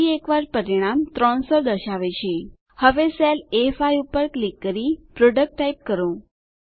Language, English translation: Gujarati, Once again, the result shows 300 Now lets click on the cell A5 and type PRODUCT